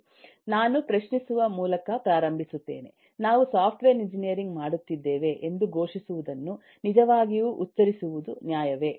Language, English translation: Kannada, I start by raising a question that: is it fair to really pronounce, proclaim that we are doing software engineering